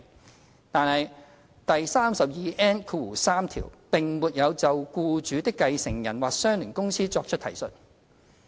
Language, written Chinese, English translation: Cantonese, 然而，第 32N3 條並沒有就僱主的繼承人或相聯公司作出提述。, However section 32N3 does not make any reference to the employers successor or associated company